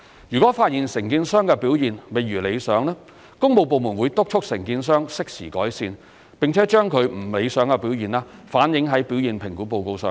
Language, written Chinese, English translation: Cantonese, 如果發現承建商的表現未如理想，工務部門會督促承建商適時改善，並把其不理想表現反映在表現評估報告上。, If the performance of a contractor is not satisfactory the works departments will urge it to make improvements and reflect this in its performance report